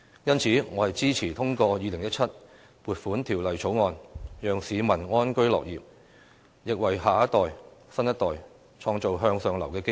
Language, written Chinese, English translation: Cantonese, 因此，我支持通過《2017年撥款條例草案》，讓市民安居樂業，也為新一代創造向上流動的機遇。, Therefore I support the passage of the Appropriation Bill 2017 so that members of the public can live and work in peace and contentment and opportunities for upward mobility can be created for the younger generation